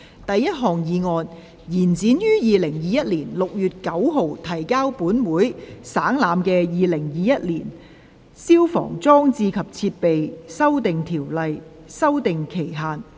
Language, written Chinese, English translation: Cantonese, 第一項議案：延展於2021年6月9日提交本會省覽的《2021年消防規例》的修訂期限。, First motion To extend the period for amending the Fire Service Amendment Regulation 2021 which was laid on the Table of this Council on 9 June 2021